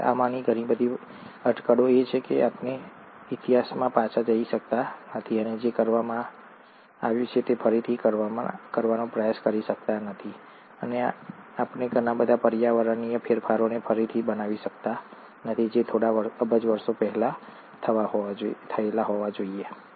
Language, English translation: Gujarati, Well, a lot of these are speculations because we cannot go back in history and try to redo what has been done, and we can't recreate a lot of environmental changes which must have happened a few billion years ago